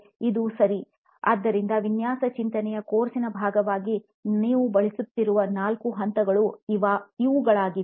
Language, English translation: Kannada, So, these are the four stages that you will be using as part of the design thinking course